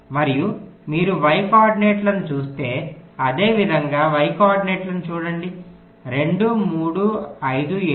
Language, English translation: Telugu, and if you look at the y coordinates, similarly, look at the y coordinates: two, three, five, seven